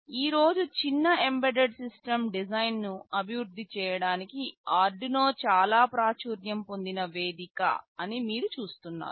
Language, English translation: Telugu, You see Arduino is a very popular platform for developing small embedded system design today